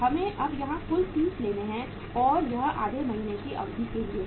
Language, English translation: Hindi, We have to take the total now here 30 and that is for a period of how much half a month